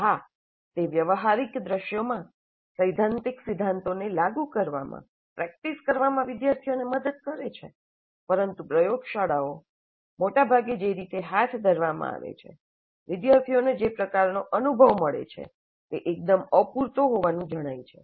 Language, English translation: Gujarati, Yes, it does help the students in practicing in applying the theoretical principles to practical scenarios, but the way the laboratories are conducted, most often the kind of experience that the students get is found to be quite inadequate